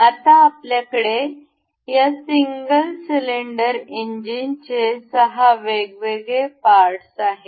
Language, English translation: Marathi, Now, we have the 6 different parts for this single cylinder engine